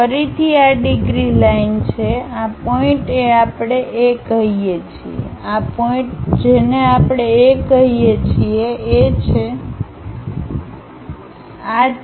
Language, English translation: Gujarati, Again this is a 30 degrees line, this point we called A, this point we called this is A, this is B